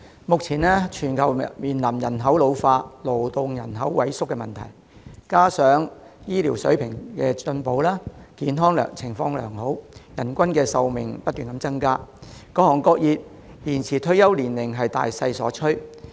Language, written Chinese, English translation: Cantonese, 目前全球面臨人口老化、勞動人口萎縮的問題，加上醫療水平進步，人們健康情況良好，人均壽命不斷增加，各行各業延展退休年齡已是大勢所趨。, At present the whole world is facing the problems of an ageing population and a shrinking workforce and coupled with better medical standards people are in good health and life expectancy is increasing so it is a general trend for various industries and sectors to extend the retirement age